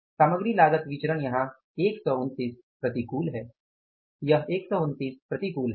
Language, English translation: Hindi, Material cost variance here it is something like 129 adverse